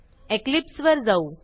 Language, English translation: Marathi, Switch to Eclipse